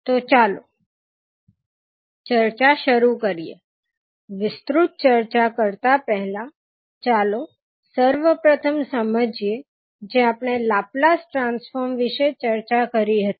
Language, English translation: Gujarati, So, let us start our discussion before going into the detail lets first understand what we discussed when we were discussing about the Laplace transform